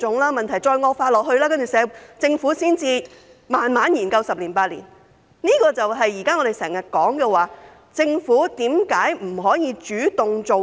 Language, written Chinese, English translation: Cantonese, 待問題繼續惡化，政府才慢慢研究十年、八年，這正是我們現在常說，政府為何不能主動做事。, The Government should not wait till the problem deteriorates to slowly start examining the issue for 8 to 10 years . This is exactly why we often query the Government for not taking the initiative to do something